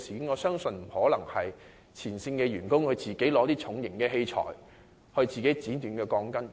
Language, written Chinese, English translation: Cantonese, 我不相信前線員工會自行拿起重型器材剪短鋼筋。, I do not think frontline workers will of their own accord use heavy machinery to cut the steel bars